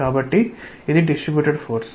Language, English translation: Telugu, So, it is a distributed force